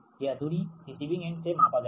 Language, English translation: Hindi, this distance is measured from receiving end right